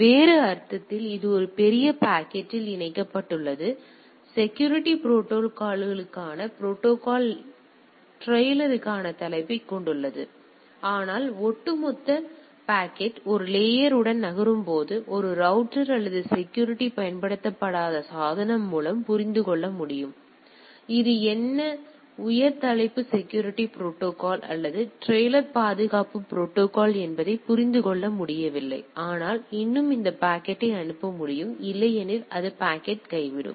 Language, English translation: Tamil, So, in other sense what we say this becomes encapsulated in a bigger packet; which has a header for the security protocol trailer for the security protocol, but the overall packet when moves along a layer it should be able to decipher by a router or a device which is not security enabled right; which is not able to understand this what is this high header security protocol or trailer security protocol, but still it is able to able to forward this packet otherwise it will drop the packet right